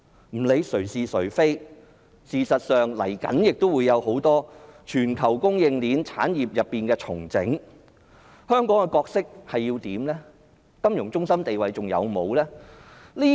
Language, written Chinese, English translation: Cantonese, 不論誰是誰非，事實上，接下來會有很多全球供應鏈進行產業重整，香港究竟有何角色和定位？, Irrespective of who is right and who is wrong in fact restructuring of many global supply chains will follow . What is the position and role of Hong Kong after all?